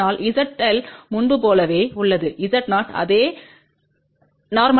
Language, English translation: Tamil, So, Z L is same as before Z 0 same normalize 1